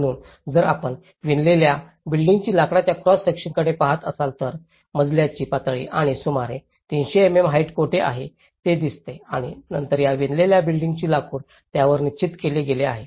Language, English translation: Marathi, So, if you look at the cross section of the woven timber, so this is how it looks where you have the floor level and about 300 mm height and then this woven timber is fixed upon it